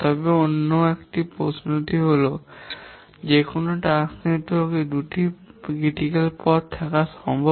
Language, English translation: Bengali, But the other question, is it possible to have two critical paths in a task network